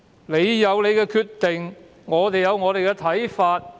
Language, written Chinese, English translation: Cantonese, 你有你的決定，我們有我們的看法。, You have your decision and we have our views